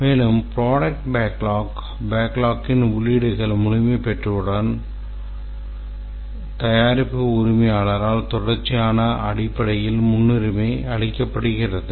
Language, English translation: Tamil, And once the entries have been populated in the product backlog, it's prioritized by the product owner in a continuous basis